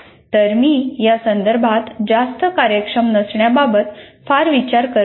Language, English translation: Marathi, So I don't mind being not that very efficient with respect to this